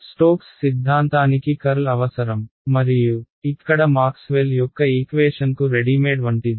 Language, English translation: Telugu, Stokes theorem needs a curl and I see Maxwell’s equations over here sitting with a curl like readymade for me